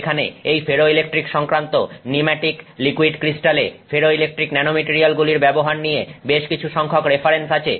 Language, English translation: Bengali, There are quite a few references on ferroelectric use of ferroelectric nanomaterials in pneumatic liquid crystals